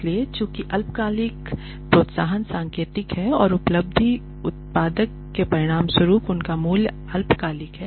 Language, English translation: Hindi, So, since short term incentives are indicative of and a result of short term productivity their value is short lived